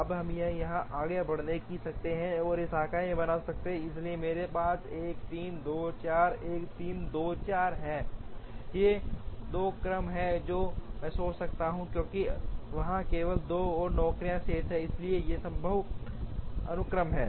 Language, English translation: Hindi, Now, we can proceed from here, and create 2 branches, so I have 1 3 2 4 and 1 3 4 2, these are the 2 sequences that I can think of, because there are only 2 more jobs remaining, so these are feasible sequences